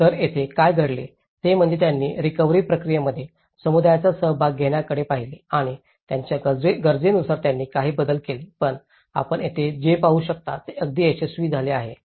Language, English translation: Marathi, So, here, what happens is they also looked at involving the community in the recovery process and they also made some modifications according to their needs but what you can see here is this has been very successful